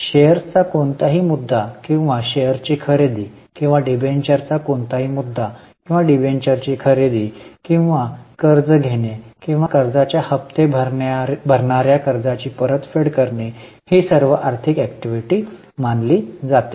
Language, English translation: Marathi, Any issue of shares or purchase of shares or any issue of debentures or purchase of debentures or taking of loan or repayment of loan, paying installment of loan is all considered as financing